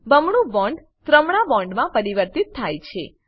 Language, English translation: Gujarati, The double bond is converted to a triple bond